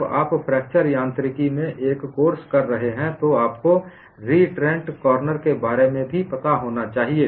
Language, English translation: Hindi, When you are doing a course on fracture mechanics, you should also know about reentrant corners